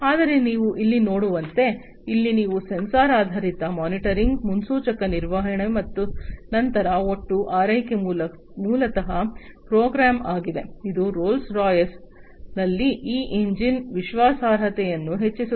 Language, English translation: Kannada, But, as you can see over here; here also you have sensor based monitoring, predictive maintenance, then total care is basically there program, which increases this engine reliability in Rolls Royce